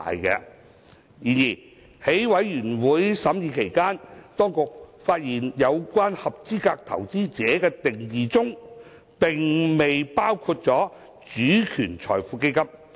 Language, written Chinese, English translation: Cantonese, 然而，在法案委員會審議期間，當局發現有關"合資格投資者"的定義並未涵蓋"主權財富基金"。, However during the scrutiny by the Bills Committee the authorities found that sovereign wealth funds SWFs has not been included under the definition of qualified investor